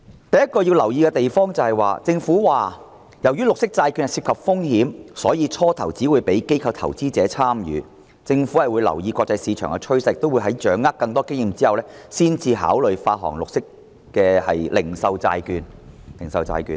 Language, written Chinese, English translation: Cantonese, 第一個要留意的地方是，政府表示，由於綠色債券涉及風險，因此最初只會讓機構投資者參與；政府會留意國際市場趨勢，並在掌握更多經驗後，才考慮發行零售綠色債券。, The first point to note is that according to the Government given the risks involved in green bonds initial issuances will target institutional investors only . The Government will monitor the international market trend and accumulate more experience before considering the issuance of retail green bonds